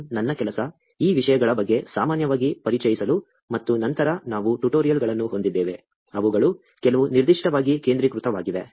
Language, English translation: Kannada, 1, about these topics, are only generally, to introduce and then, we will have a tutorials, which are specifically focused on some of them